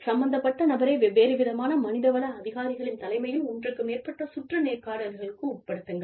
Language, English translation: Tamil, And, have the person concerned go through, more than one rounds of interviews with, diverse range of personnel